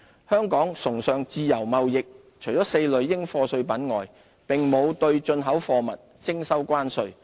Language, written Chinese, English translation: Cantonese, 香港崇尚自由貿易，除4類應課稅品外，並沒有對進出口貨物徵收關稅。, As an advocate of free trade Hong Kong does not impose duties on import or export goods except for four types of dutiable commodities